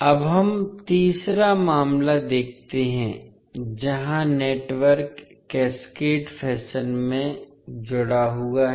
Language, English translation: Hindi, Now, let us see the third case where the network is connected in cascaded fashion